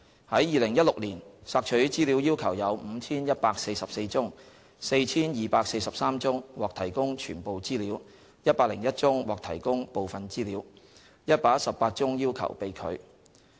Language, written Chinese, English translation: Cantonese, 在2016年，索取資料要求有 5,144 宗 ，4,243 宗獲提供全部資料 ，101 宗獲提供部分資料 ，118 宗要求被拒。, In 2016 there were 5 144 requests for information received . 4 243 requests were met in full 101 requests were met in part and 118 requests were refused